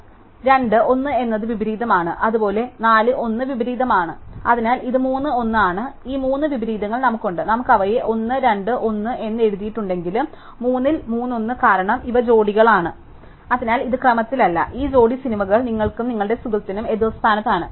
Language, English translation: Malayalam, So, 2, 1 is inversion, likewise 4, 1 is inversion, so it is 3, 1, so we have these three inversion, whether we have write them as 1 of 2, 1; 3 of 3, 1, because these are pairs, so it was in order is not important, these pairs of movies a rank oppositely by you and your friend